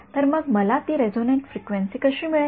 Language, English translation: Marathi, So, how would I find that resonate frequency